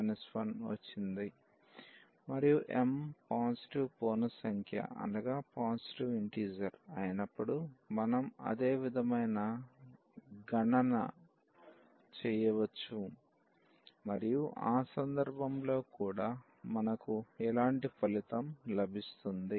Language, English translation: Telugu, And, we can do the same similar calculations when m is a positive integer and in that case also we will get a similar result